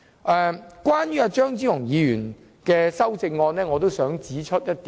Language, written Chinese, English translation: Cantonese, 我想就張超雄議員的修正案指出一點。, I wish to make one point concerning Dr Fernando CHEUNGs amendments